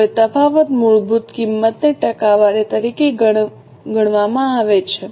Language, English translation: Gujarati, Now the variance is calculated as a percentage of the basic cost